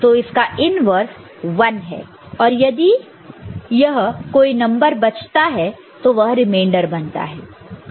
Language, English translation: Hindi, So, it is inverted is 1 and had there been some number present that would have been the remainder